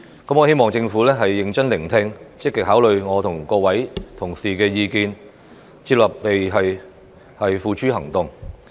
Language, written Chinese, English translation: Cantonese, 我希望政府認真聆聽，積極考慮我和各位同事的意見，接納並付諸行動。, I hope the Government will listen attentively actively consider my opinions and those of Honourable colleagues accept them and put them into action